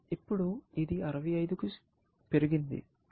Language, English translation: Telugu, This has now, gone up to 65